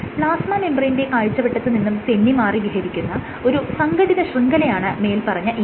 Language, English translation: Malayalam, So, the ECM is an organized network of materials that is present beyond the immediate vicinity of the plasma membrane